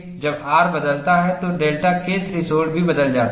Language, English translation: Hindi, And when R changes, delta K threshold also changes